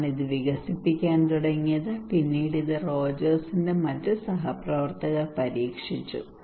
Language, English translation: Malayalam, Rogers in 1975 started to develop this one and also then it was later on revised by other colleagues of Rogers